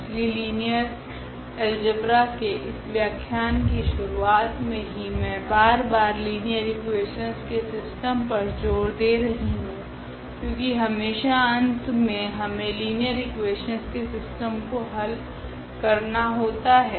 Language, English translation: Hindi, So, from the beginning of this lectures in linear algebra I am emphasizing again and again on this system of linear equations because at each and every step finally, we are solving the system of linear equations